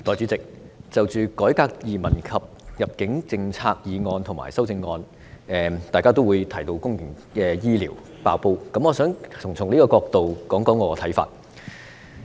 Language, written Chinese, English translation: Cantonese, 代理主席，就着"改革移民及入境政策"的議案及修正案，大家也會提到公營醫療"爆煲"，我想從這個角度，談談我的看法。, Deputy President in respect of the motion on Reforming the immigration and admission policies and its amendments Members will also mention the explosion in our public health care services . I would like to talk about my views from this perspective